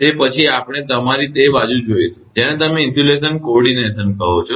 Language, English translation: Gujarati, So, next we will come to your, what you call that insulation coordination